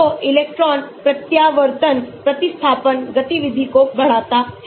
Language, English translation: Hindi, So, electron withdrawing substitutions increases the activity